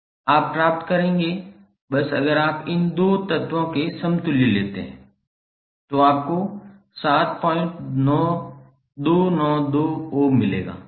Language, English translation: Hindi, You will get, simply if you take the equivalent of these 2 elements, you will get 7